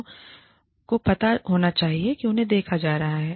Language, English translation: Hindi, People should know, that they are being watched